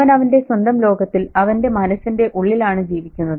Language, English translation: Malayalam, So he lives within his own world, within his own mind